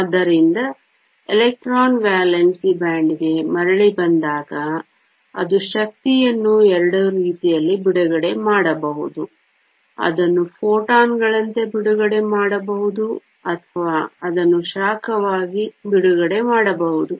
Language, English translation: Kannada, So, when the electron comes back to valence band, it can release the energy in 2 ways; one can release it as photons or it can release it as heat